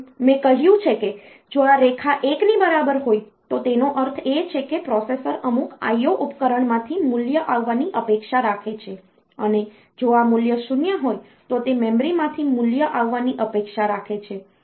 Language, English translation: Gujarati, As I have said if this line is equal to 1; that means, the processor is expecting the value to come from some I O device, and if this value is 0, then it is expecting the value to come from the memory